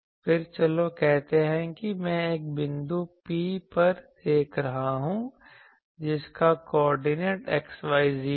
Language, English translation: Hindi, Then and let us say that I am observing at a point P, whose coordinate is x y z